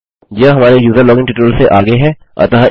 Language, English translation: Hindi, This is followed on from our user login tutorial